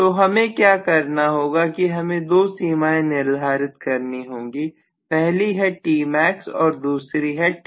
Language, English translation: Hindi, So what I need to do is maybe fix up two limits, one will be Tmax one will be T minimum